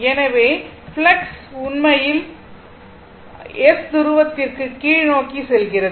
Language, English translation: Tamil, So, when flux actually going to the downwards from N to S pole, right, it is going to the downwards